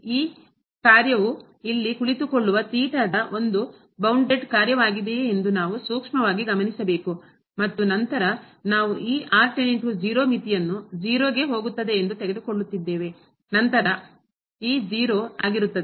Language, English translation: Kannada, We have to closely look at this function whether if it is a bounded function of theta sitting here and then we are taking this limit goes to 0, then this will be 0